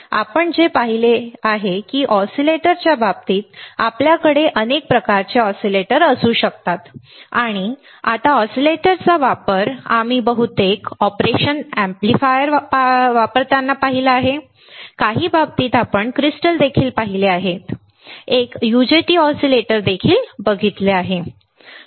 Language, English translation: Marathi, So, now, what we have seen that in case of in case of oscillators, we can have several types of oscillators and now the application of oscillators we have seen mostly in using operation amplifier, but in some cases, we have also seen a crystal oscillator, we have also seen a UJT oscillator, right